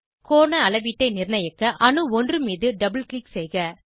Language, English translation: Tamil, To fix the angle measurement, double click on atom number 1